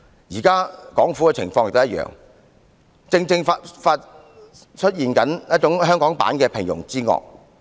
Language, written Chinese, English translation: Cantonese, 現在港府的情況亦一樣，正在出現香港版的"平庸之惡"。, Similarly the Hong Kong Government now manifests the Hong Kong style banality of evil